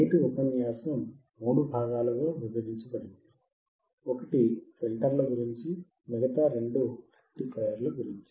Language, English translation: Telugu, Today’s lecture is divided into 3 parts, one is about the filters, and two about rectifiers